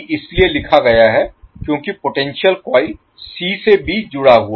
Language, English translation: Hindi, Vcb is written because the potential coil is connected from c to b